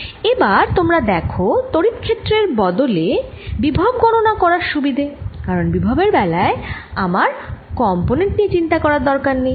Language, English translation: Bengali, and now you see the advantage of using potential to calculate electric field later, because in the potential i don't have to worry about any components